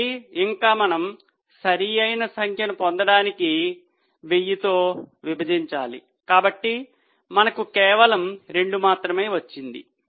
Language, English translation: Telugu, So, further we need to divide by 1,000 to get the correct figure